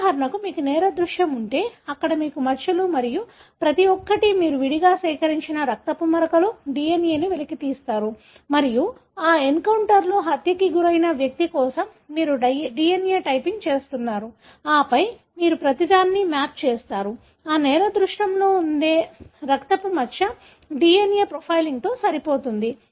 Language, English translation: Telugu, For example, you if you have a crime scene, where you have spots and each, blood spots you have collected separately, extracted the DNA and you are doing the DNA typing for the person who was killed in that encounter and then you map whether every blood spot that is present in that crime scene matches with the DNA profiling